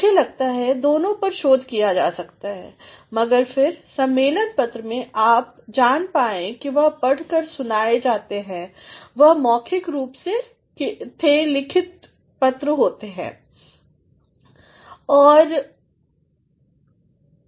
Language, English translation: Hindi, I think both of them are researched, but then while in conference papers, you came to know that they were read out, they were the spoken form of the written paper